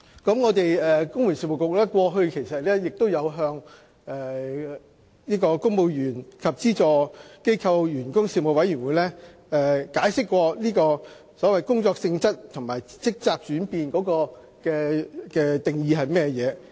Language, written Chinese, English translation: Cantonese, 公務員事務局過去亦曾向立法會公務員及資助機構員工事務委員會解釋，所謂工作性質和職責轉變的定義。, In the past the Civil Service Bureau also explained to members of the Legislative Council Panel on Public Service about the definition of the job nature and the change of duties